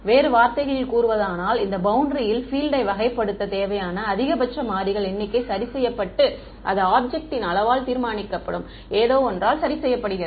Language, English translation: Tamil, In some in other words the number of variables the maximum number of variables required to characterize the field on this boundary is fixed and it is fixed by something that is determined by the size of the object